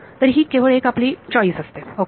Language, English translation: Marathi, So, this is just one choice ok